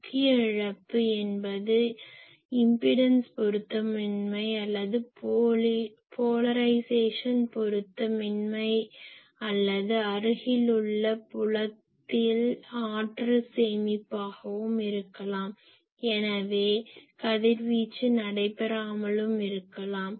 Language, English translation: Tamil, So, the main loss is in the there is there may be the impedance mismatch or polarization mismatch or in the near field , there may be storage of energy , so the radiation is not taking place etcetera